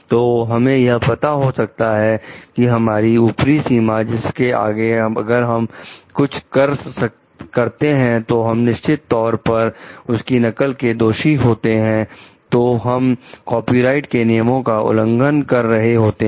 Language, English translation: Hindi, So, that we can understand what is the upper threshold beyond which if we do we are beyond which if you are copying definitely so, we are violating the copyright